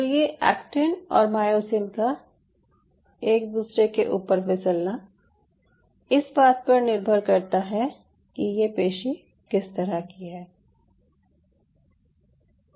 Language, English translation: Hindi, so this sliding motion of actin and myosin over one another is a function of the muscle type